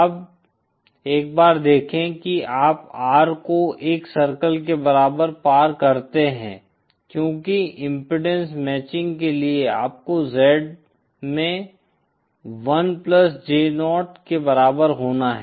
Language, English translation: Hindi, Now see once you cross the R equal to 1 circle because for impedance matching you have to have Z in is equal to 1 plus J 0